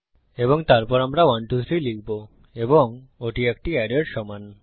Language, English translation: Bengali, And then we type 123 and that is equal to an array